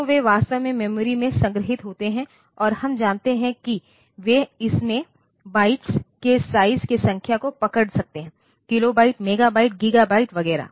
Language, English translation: Hindi, So, they are actually stored in the memory and we know that they can hold number of bytes in it; kilobyte, megabyte, gigabyte etcetera